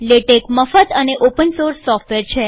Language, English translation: Gujarati, Latex is free and open source